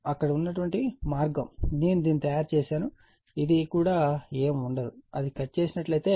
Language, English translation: Telugu, The way it was there I made it this will also nothing this will also nothing, right if it is cut